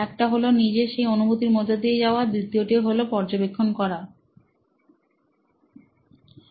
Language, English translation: Bengali, One was to go through yourself, the second was through observation